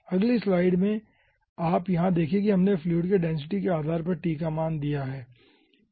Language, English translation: Hindi, you see, over here we have given the densities of the fluid depending on the value of t